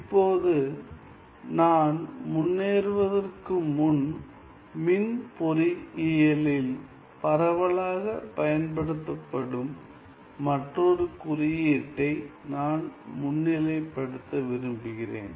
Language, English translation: Tamil, Now, before I move ahead, I just want to highlight there is another notation which is widely used by people in electrical engineering, so what is used